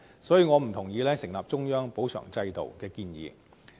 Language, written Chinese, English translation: Cantonese, 所以，我不贊同成立中央補償制度的建議。, Therefore I do not agree with the proposal for establishment of a central compensation scheme